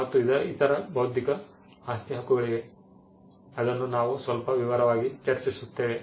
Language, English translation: Kannada, And there are other intellectual property rights which we will discuss in some detail as we go by